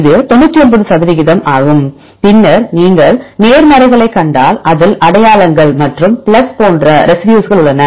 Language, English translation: Tamil, So, this is 99 percent and then if you see the positives it contains identities plus the plus that means similar residues